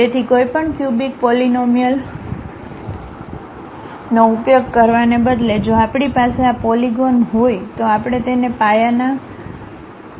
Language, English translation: Gujarati, So, instead of using any cubic polynomials, if we are going to have these polygons, we call that as basis splines